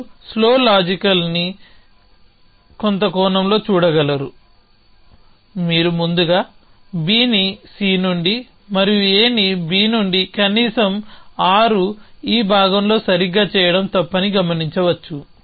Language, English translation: Telugu, So, you can see that slow logical in some sense that you know you can see that you must first stack B on to c and then A on to B an at least 6 doing in this part correctly essentially